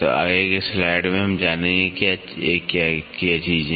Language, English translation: Hindi, So, in the next slide we will see what are these things